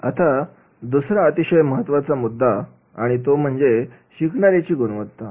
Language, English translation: Marathi, Now, second very important point is the learners attributes